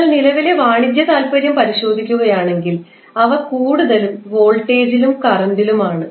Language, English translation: Malayalam, And if you cross verify the the commercial interest they are more into voltage and current